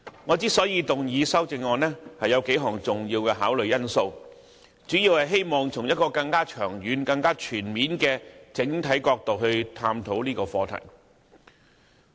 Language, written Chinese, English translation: Cantonese, 我動議修正案，有數項重要的考慮因素，旨在從一個更長遠、全面的角度探討這個課題。, In my proposed amendment several important factors for considerations have been set out such that the issues concerned can be addressed from a more long - term and comprehensive perspective